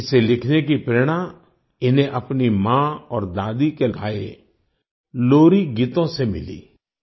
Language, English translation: Hindi, He got the inspiration to write this from the lullabies sung by his mother and grandmother